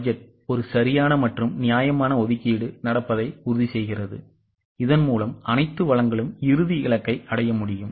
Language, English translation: Tamil, Budgeting ensures that a proper and a fair allocation happens so that all resources can be channelized for the achievement of final goal